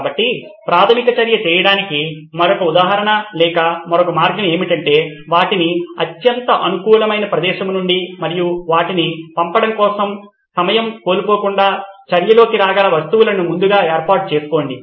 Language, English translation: Telugu, So the another example or another way to do preliminary action is pre arrange objects such that they can come into action from the most convenient place and without losing time for their delivery